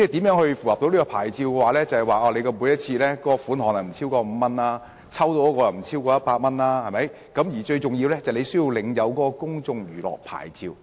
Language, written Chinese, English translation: Cantonese, 要符合牌照要求，每次涉及的款項不應超過5元，獎品的價值也不應超過100元，最重要的是要領有公眾娛樂場所牌照。, To meet the requirements of the licence the amount of money involved in each transaction shall not exceed 5 and the amount of prizes shall not exceed 100 and most important of all it is necessary to obtain a Places of Public Entertainment Licence